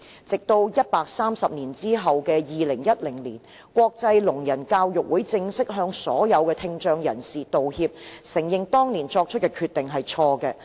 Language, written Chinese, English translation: Cantonese, 直到130年後的2010年，國際聾人教育會議正式向所有聽障人士道歉，承認當年作出的決定是錯誤的。, It was not until 130 years later that a formal apology was made in 2010 by the International Congress on the Education of the Deaf to people with hearing impairment which admitted that the resolution made in the past was wrong